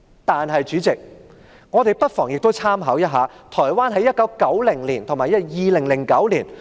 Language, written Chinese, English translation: Cantonese, 代理主席，我們亦不妨參考一下台灣在1990年和2009年的經驗。, Deputy President let us make reference to the experience of Taiwan in 1990 and 2009